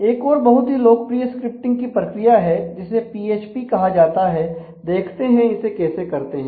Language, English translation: Hindi, There is another mechanism of scripting which is also very popular called PHP